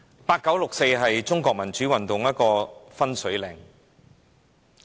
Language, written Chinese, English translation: Cantonese, 八九六四是中國民主運動的分水嶺。, The 4 June incident in 1989 was a watershed for Chinese pro - democracy movements